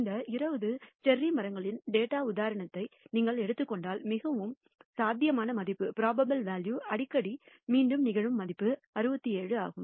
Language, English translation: Tamil, And if you take the example of this 20 cherry trees data, we find that the most probable value, the value that repeats more often, is 67